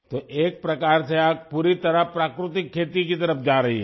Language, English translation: Hindi, So in a way you are moving towards natural farming, completely